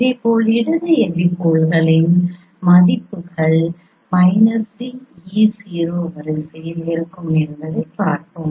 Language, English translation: Tamil, So, similarly we will see also the values of the left epipoles will be at the row